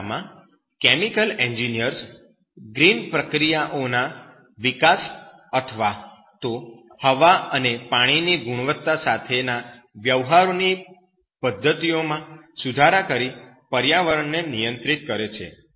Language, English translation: Gujarati, In this case, chemical engineers control the environment both through the development of green processes and improve methods of dealing with air and water quality